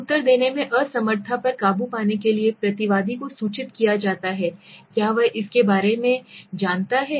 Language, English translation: Hindi, Overcoming the inability to answer is the respondent informed, is he does to know about it, right